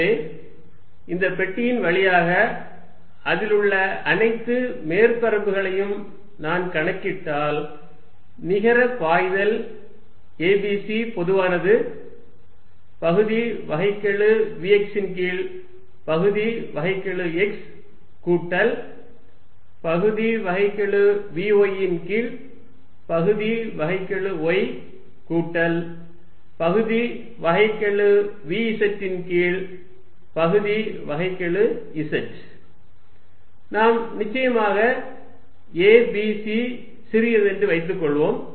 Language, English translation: Tamil, So, over all through this box if I count all the surfaces in net flow is a b c is common partial vx by partial x plus partial vy by partial y plus partial vz the partial z we of course, assume that a b c is small